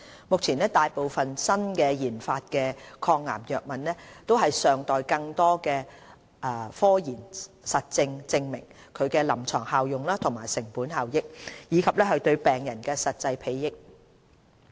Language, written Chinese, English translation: Cantonese, 目前，大部分新研發的抗癌藥物尚待更多科研實證證明其臨床效用和成本效益，以及對病人的實際裨益。, At this stage more scientific evidence is required to confirm the clinical efficacy and cost - effectiveness of most newly - developed drugs for cancer treatment and the actual benefits to patients